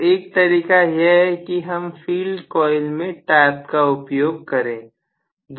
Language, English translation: Hindi, So, one of the methods is actually taps in the field coil